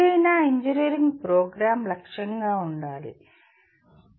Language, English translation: Telugu, That is what any engineering program should aim at, has been aiming at